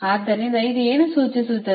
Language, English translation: Kannada, so what does it signify